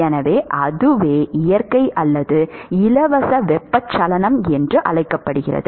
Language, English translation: Tamil, So, that is what is called natural or free convection